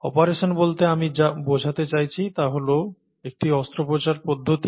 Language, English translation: Bengali, What I mean by an operation is a surgical procedure